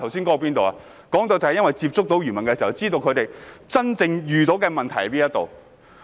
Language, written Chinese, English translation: Cantonese, 我剛才說到，因我接觸漁民，所以知道他們真正遇到的問題。, It is outrageous! . Just now I said that since I have kept in touch with fishermen I know what problems they are really facing